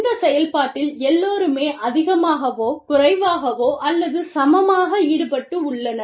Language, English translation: Tamil, Everybody is more or less, equally involved in the process